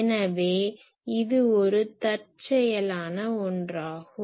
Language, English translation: Tamil, So, it is an unintentional one